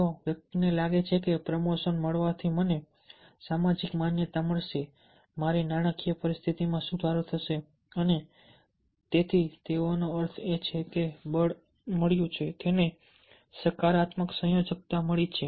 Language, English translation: Gujarati, if the person feels that by getting the promotion will get social recognition, my financial condition will improvement, so on, that means the valency has got a, it has got a positive valency